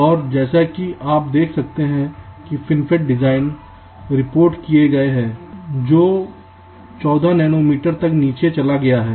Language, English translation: Hindi, and as you can see, fin fet has design such been reported which has gone down up to fourteen nanometer